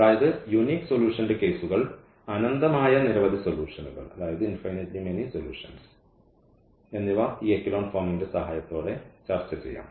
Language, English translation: Malayalam, So, all these cases of unique solution, infinitely many solution can be discussed with the help of this echelon form